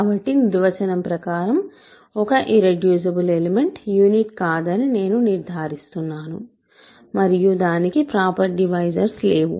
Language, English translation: Telugu, So, I will declare that a irreducible element is by definition not a unit and it has no proper divisors right